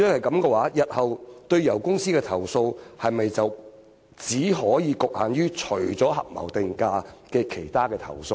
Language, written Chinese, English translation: Cantonese, 那麼，日後對油公司提出的投訴，是否只局限於合謀定價以外的其他投訴呢？, In that case will complaints lodged against oil companies in the future be limited to complaints other than collusive price - fixing only?